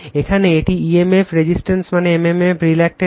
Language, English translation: Bengali, Here it is emf upon resistance that is mmf upon reluctance